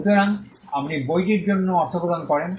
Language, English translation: Bengali, So, you pay money for the book